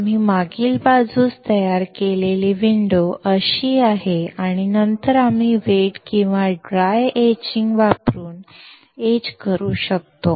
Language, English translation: Marathi, The window that we created in the backside is something like this and then we can we can etch using wet or dry etching